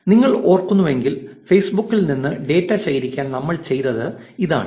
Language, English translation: Malayalam, And if you remember, this is what we did to collect data from Facebook, we created a simple function